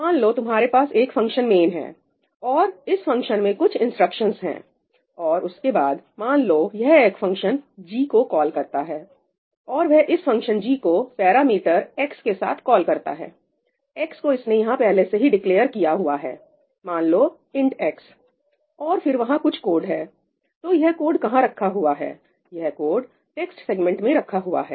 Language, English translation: Hindi, Let us say, you have a function, you have a function main and there are some instructions over here and after that, let’s say, it calls a function g and it calls that with a parameter x; x is something it has declared over here, let us say, ‘int x’, and then it executes some more code and then you have function g here, which takes a parameter ‘int x’ and there is some code sitting over here